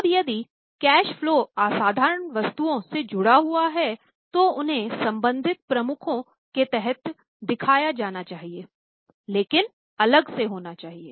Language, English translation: Hindi, Now if the cash flows are associated with extraordinary items, they should be shown under the respective heads but to be separately disclosed